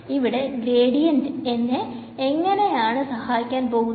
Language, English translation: Malayalam, So, it does not seem very straightforward how gradient is going to help me in this